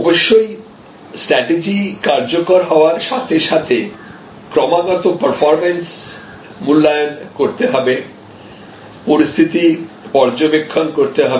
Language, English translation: Bengali, Of course, as the strategy rolls out you have to constantly evaluate performances, monitor the situation